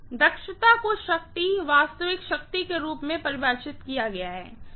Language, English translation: Hindi, The efficiency is defined as in terms of power, real power